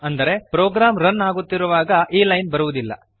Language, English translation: Kannada, This means, this line will not be executed while running the program